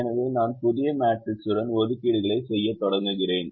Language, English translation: Tamil, so i start making assignments with the new matrix